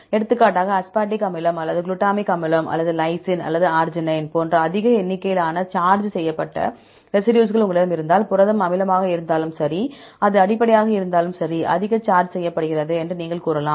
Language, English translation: Tamil, For example, if you have more number of charged residues like aspartic acid or glutamic acid or lysine or arginine, you can say the protein is highly charged right, whether it is acidic or it is basic